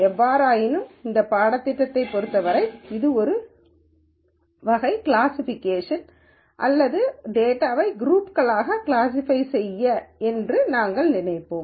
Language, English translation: Tamil, However, as far as this course is concerned, we would still think of this as some form of classification or categorization of data into groups